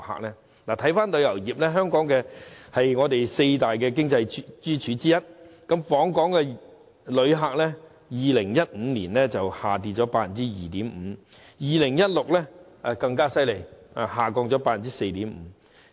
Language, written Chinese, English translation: Cantonese, 說回旅遊業，它是香港四大經濟支柱之一，訪港旅客人數在2015年下跌了 2.5%， 而2016年更差，下跌了 4.5%。, Going back to the tourism industry it is one of the four economic pillars of Hong Kong . Visitor arrivals dropped by 2.5 % in 2015 but it is even worse in 2016 with a decline of 4.5 %